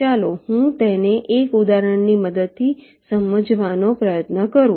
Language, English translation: Gujarati, why it is so, let me try to explain it with the help of an example